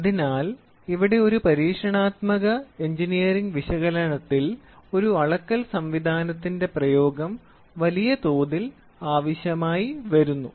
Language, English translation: Malayalam, So, here this is Experimental Engineering Analysis where the application of a measuring system comes in a big way